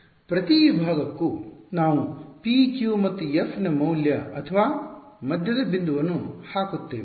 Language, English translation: Kannada, For each segment we just put in the value or the midpoint of p q and f